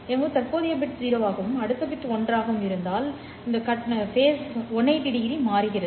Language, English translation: Tamil, If my present bit is zero and the next bit is one, there is a transition of 180 degree phase